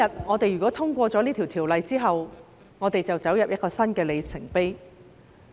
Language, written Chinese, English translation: Cantonese, 我們今天通過《條例草案》之後，便進入一個新的里程碑。, A new milestone will be reached with the passage of the Bill today